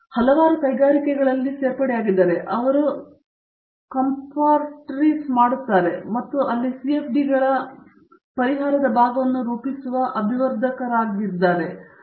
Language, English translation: Kannada, They are there in many industries where, they get compartmentalized and are looking at part of a CFDs solution there, either formulating or developers or testing etcetera